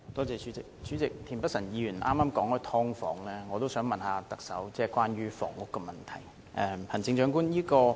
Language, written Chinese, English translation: Cantonese, 主席，田北辰議員剛才提及"劏房"，我也想問特首關於房屋的問題。, President just now Mr Michael TIEN mentioned sub - divided units and I also wish to ask the Chief Executive a question on housing